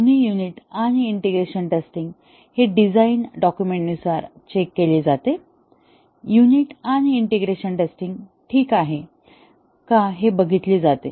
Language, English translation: Marathi, So far, both unit and integration testing; it is tested as per the design the design document, whether the unit and integration testing alright